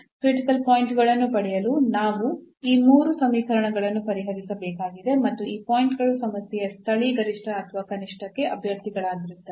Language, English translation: Kannada, So now, we have to solve these 3 equations to get the points to get the critical points and those points will be the candidates for the local for the maximum or the minimum of the problem